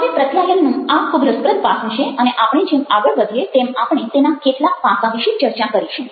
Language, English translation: Gujarati, now, that is a very, very interesting aspect to communication and we will discuss some of it as we proceed